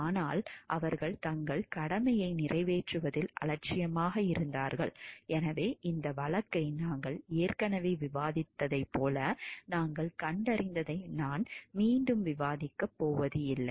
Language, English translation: Tamil, But they were negligent in carrying a carrying out their duty, so what we find like as we have already discussed this case I am not going to discuss it again